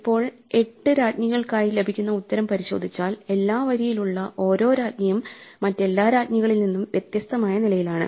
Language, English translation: Malayalam, Now if we look at the solutions that we get for the 8 queens, each queen on row is in a different column from every other queen